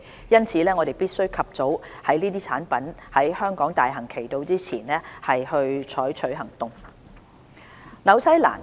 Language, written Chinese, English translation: Cantonese, 因此我們必須及早在這些產品在香港大行其道之前採取行動。, Therefore we have to take actions before these products become popular in Hong Kong